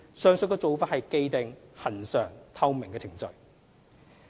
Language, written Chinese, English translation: Cantonese, 上述做法是既定、恆常、透明的程序。, The above practices and procedures are established regular and transparent